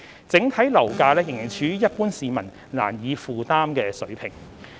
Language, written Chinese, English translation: Cantonese, 整體樓價仍處於一般市民難以負擔的水平。, Overall property prices remain at a level beyond the affordability of the general public